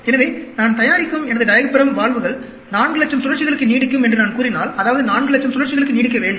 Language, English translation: Tamil, So, if I am saying that my diaphragm valves I manufacture will last for 400,000 cycles, that means, it should last for 400,000 cycles